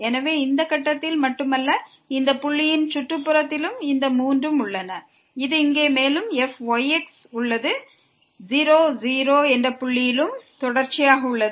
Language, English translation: Tamil, So, not only at this point, but also in the neighborhood of this point all these 3 exist and this on the top here is also continuous at that point 0 0